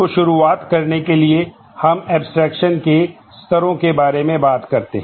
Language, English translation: Hindi, So, to start with we talk about levels of abstraction